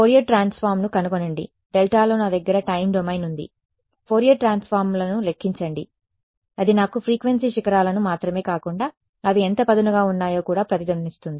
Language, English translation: Telugu, Find out the Fourier transform I have the time domain in the delta calculate the Fourier transforms that is the much smarter way it will give me not just the frequency peaks, but also how resonate they are how sharp they are right